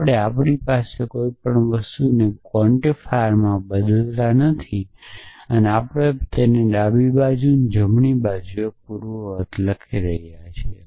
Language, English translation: Gujarati, We are not changing anything we have into implicit quantifier from and we are writing it consequent on the left hand side and antecedent on the right hand side